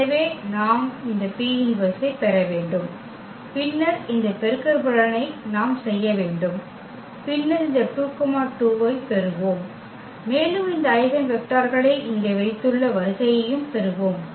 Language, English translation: Tamil, So, we need to get this P inverse and then this product we have to make and then we will get this 2 2 and exactly the order we have placed here these eigenvectors